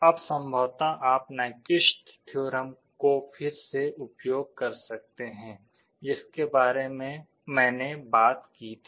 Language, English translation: Hindi, Now, this you can possibly use again because of the Nyquist theorem I talked about